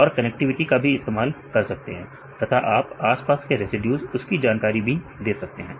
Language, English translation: Hindi, And they can use the connectivity as well as you can give the information regarding the surrounding residues in the environment